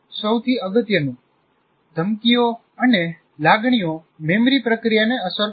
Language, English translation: Gujarati, And most importantly, threats and emotions affect memory processing